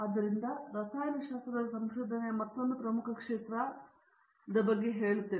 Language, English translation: Kannada, So this is another important area of research in chemistry, I will say general science